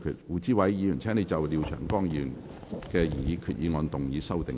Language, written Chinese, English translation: Cantonese, 胡志偉議員，請就廖長江議員的擬議決議案動議修訂議案。, Mr WU Chi - wai you may move your amending motion to Mr Martin LIAOs proposed resolution